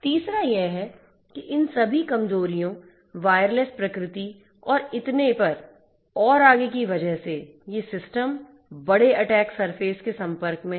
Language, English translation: Hindi, Third is that because of this all these vulnerabilities, wireless nature and so on and so forth, these systems are exposed to large attack surfaces